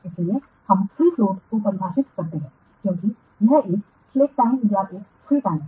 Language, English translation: Hindi, So, we define free float as it is a slack time or a free time